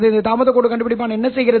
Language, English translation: Tamil, What does this delay line detector do